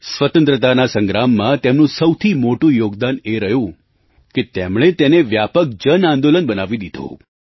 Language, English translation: Gujarati, His biggest contribution in the Freedom struggle was that he made it an expansive "JanAandolan" People's Movement